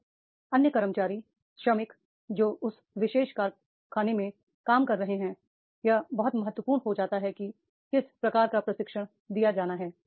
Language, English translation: Hindi, Now the other employer workers who are working in that particular factory then that becomes very important that is what type of the training is to be provided